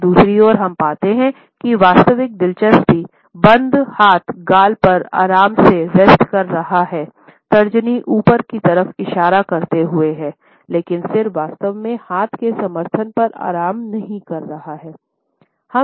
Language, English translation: Hindi, On the other hand, we find that the genuine interest is shown by a closed hand resting on the cheek normally, with the index finger pointing upwards, but the head is not exactly resting on the support of the hand